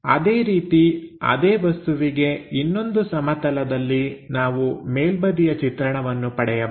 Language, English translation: Kannada, Similarly, for the object onto that plane, we may be getting this one as the top view